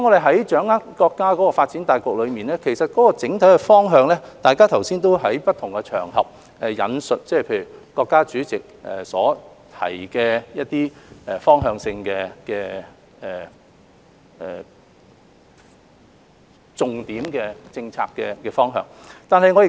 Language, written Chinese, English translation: Cantonese, 在掌握國家發展大局的整體方向時，大家剛才也引述國家主席在不同場合提到的一些重點政策的方向。, Just now when Members spoke on the general direction of the countrys overall development they cited some key policy directions stated by the State President on various occasions